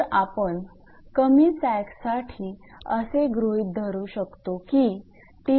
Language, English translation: Marathi, So, for small sag the T max minus T min can be considered as small